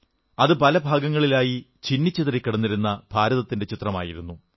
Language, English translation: Malayalam, It was the map of an India that was divided into myriad fragments